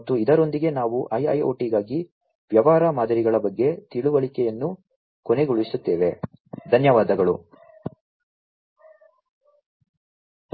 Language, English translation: Kannada, And with this we come to an end of the understanding about the business models for IIoT